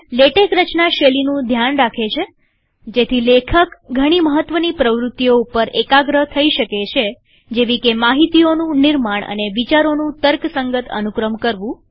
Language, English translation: Gujarati, With latex taking care of formatting, the writer can concentrate on more important activities, such as, content generation and logical sequencing of ideas